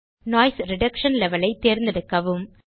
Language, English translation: Tamil, Choose the Noise Reduction Level